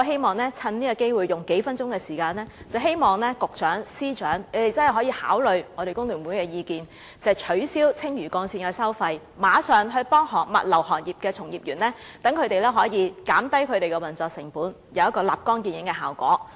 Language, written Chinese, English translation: Cantonese, 我花數分鐘時間發言，藉此機會促請局長和司長考慮工聯會的意見，取消青嶼幹線收費，協助物流行業的從業員，減低他們的運作成本，以取得立竿見影的效果。, Having spoken for a few minutes I would like to take this opportunity to urge Directors of Bureaux and Secretaries of Departments to consider FTUs proposal of abolishing the toll for the Lantau Link so as to help practitioners in the logistics industry by reducing their operating costs so as to get instant results